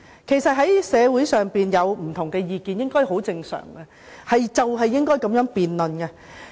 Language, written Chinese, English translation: Cantonese, 其實社會上有不同意見很正常，也應該如此。, Actually it is normal to have different views in society which should be the case